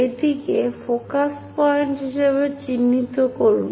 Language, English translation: Bengali, So, mark this one as focus point